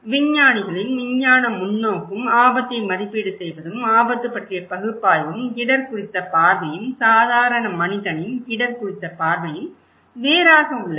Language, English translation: Tamil, So, there is a difference between what scientists are estimating the risk, the scientific perspective of the risk or estimation of risk and analysis of risk and the common man’s perspective of risk